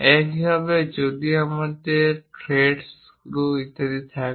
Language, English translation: Bengali, Similarly, if we have thread screws and so on